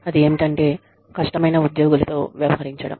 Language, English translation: Telugu, And, that is, handling difficult employees